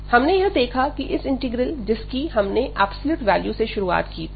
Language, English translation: Hindi, So, what we have seen that this integral, which we have started with the absolute value